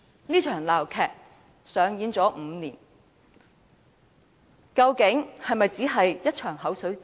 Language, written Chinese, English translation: Cantonese, 這場鬧劇上演了5年，究竟是否只是一場"口水戰"？, This farce has been running for five years . Is it merely a war of words?